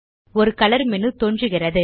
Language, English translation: Tamil, A color menu appears